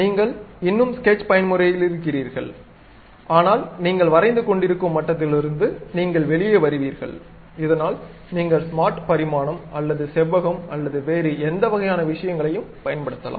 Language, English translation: Tamil, You are still at the sketch mode, but that local level where you are drawing you will be coming out, so that you can use some other two like smart dimension, or rectangle, or any other kind of things